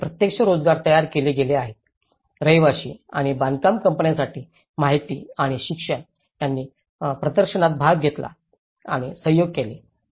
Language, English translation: Marathi, And indirect jobs have been created, information and education for residents and construction companies, which have participated and collaborated in exhibition